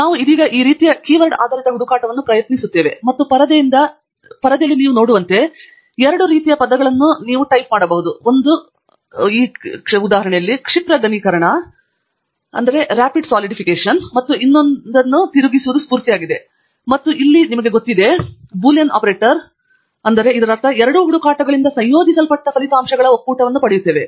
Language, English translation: Kannada, We are just now going to try out this kind of a keyword based search, and as you can see from the screen, I have typed in two sets of words; one is rapid solidification and the other is melt spinning, and I am combining them here with, you know, OR Boolean operator, which means that we will get a union of the results that are combined from both these searches